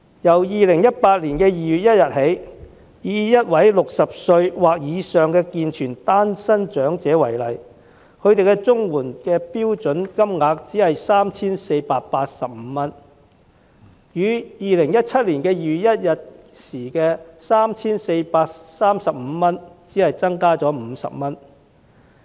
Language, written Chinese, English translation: Cantonese, 由2018年2月1日起，以一位60歲或以上的健全單身長者為例，他每月獲取的綜援標準金額只是 3,485 元，與2017年2月1日的 3,435 元比較只增加了50元。, Starting from 1 February 2018 to give an example the standard monthly CSSA payment received by an able - bodied single elderly person aged 60 or above is only 3,485 merely 50 more compared to the amount 3,435 at 1 February 2017